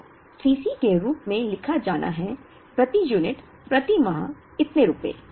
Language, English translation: Hindi, So, C c has to be written as, so many rupees per unit per month